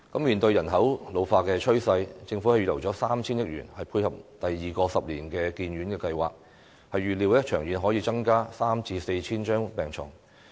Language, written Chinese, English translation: Cantonese, 面對人口老化的趨勢，政府預留 3,000 億元，以配合第二個十年醫院發展計劃，預料長遠可增加 3,000 至 4,000 張病床。, Facing the trend of population ageing the Government has earmarked 300 billion to support the second ten - year hospital development plan which is expected to provide an additional 3 000 to 4 000 hospital beds in the long run